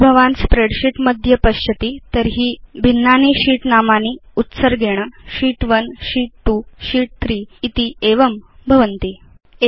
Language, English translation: Sanskrit, If you see in a spreadsheet, the different sheets are named by default as Sheet 1, Sheet 2, Sheet 3 and likewise